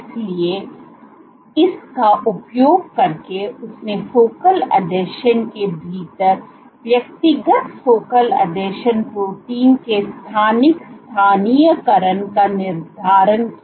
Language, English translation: Hindi, So, using this she determined the spatial localization of individual focal adhesion proteins within focal adhesions